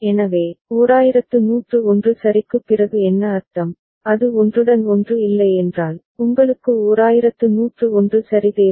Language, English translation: Tamil, So, what does it mean after 1101 ok, if it is non overlapping that means, you need another 1101 ok